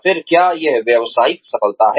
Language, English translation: Hindi, Again, is it occupational success